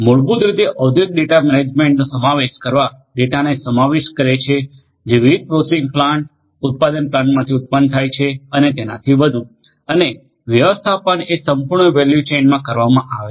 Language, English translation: Gujarati, Incorporating industrial data management basically will incorporate data that is generated from different processing plant manufacturing plants and so on and the management is done in the entire value chain